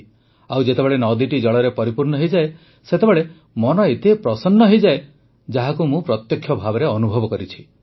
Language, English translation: Odia, And truly, when a river is full of water, it lends such tranquility to the mind…I have actually, witnessed the experience…